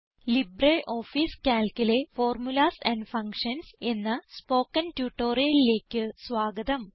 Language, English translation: Malayalam, Welcome to the Spoken Tutorial on Formulas and Functions in LibreOffice Calc